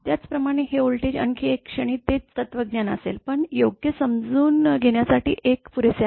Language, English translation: Marathi, Similarly, this voltage another instant also it will be the same philosophy, but one is sufficient for understandable understanding right